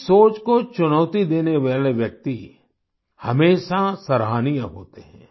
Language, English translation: Hindi, Those who challenge this line of thinking are worthy of praise